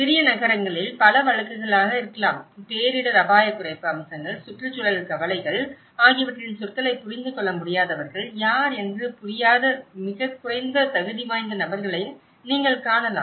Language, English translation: Tamil, He might be the many cases in small towns; you might find even very less qualified persons who have not understand who may not be able to understand the kind of terminology of the disaster risk reduction aspects, the environmental concerns